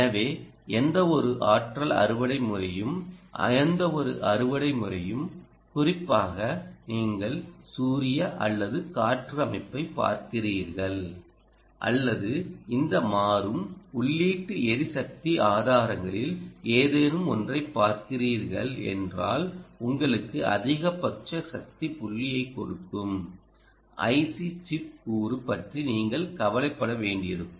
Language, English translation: Tamil, so any energy harvesting system, any, any harvesting system, particularly if you are looking at solar or wind or any one of these variable input energy sources, you will have to worry about the i c chip component, which, essentially, will give you maximum power point, because the input is all the time changing